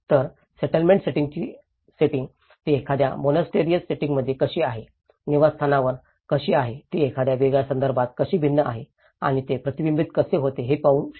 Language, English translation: Marathi, So, this is how what we can see is the settings of the settlement setting, how it is at a monastral setting, at a dwelling setting, how it has varied from a different context and how it is reflected